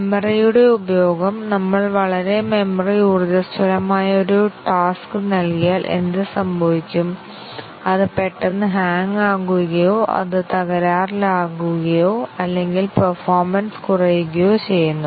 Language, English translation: Malayalam, Utilization of memory, if we give a very memory intensive task, what happens, does it suddenly hang, does it crash or does it gracefully degrade performance little bit